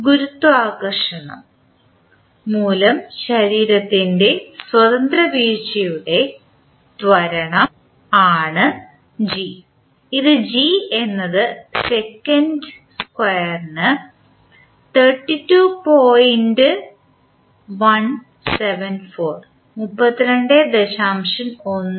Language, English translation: Malayalam, g is the acceleration of free fall of the body due to gravity which is given as g is equal to 32